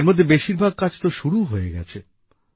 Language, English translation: Bengali, Most of these have already started